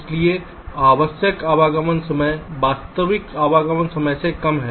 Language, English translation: Hindi, so the required arrival time is less than the actual arrival time